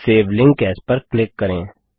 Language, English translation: Hindi, And click on Save Link As